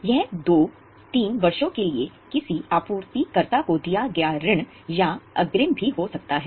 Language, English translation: Hindi, It can also be a loan or advance given to some supplier for 2, 3 years